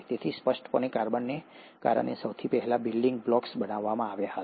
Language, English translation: Gujarati, So clearly, the earliest building blocks were formed because of carbon